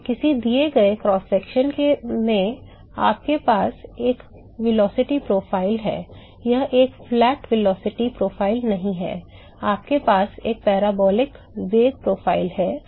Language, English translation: Hindi, Yeah that at a given cross section you have a velocity profile, it is not a flat velocity profile you have a parabolic velocity profile